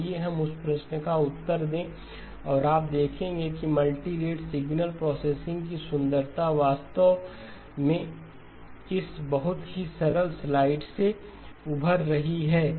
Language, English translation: Hindi, Let us answer that question and you will see that the beauty of multi rate signal processing actually emerging from this very simple slide okay